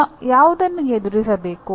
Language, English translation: Kannada, Which one should I deal with